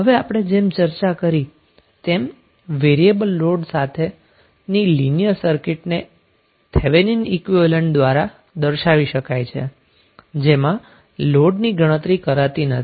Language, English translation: Gujarati, Now as we have discussed that linear circuit with variable load can be replaced by Thevenin equivalent excluding the load